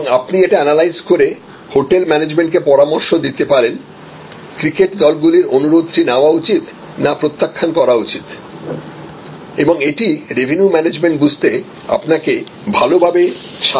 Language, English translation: Bengali, And you can, then analyze an advice the hotel management with the, should accept the cricket teams request should decline and that will give you much better understanding of what this revenue management this all about